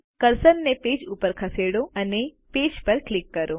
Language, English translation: Gujarati, Move the cursor to the page and click on the page